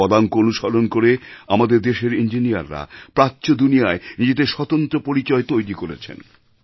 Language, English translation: Bengali, Following his footsteps, our engineers have created their own identity in the world